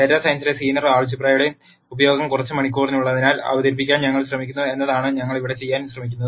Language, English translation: Malayalam, What we are trying to do here is we are trying to introduce the use of linear algebra in data science in a few hours